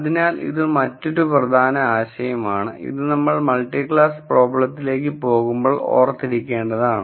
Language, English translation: Malayalam, So, this is another important idea that, that one should remember when we go to multi class problems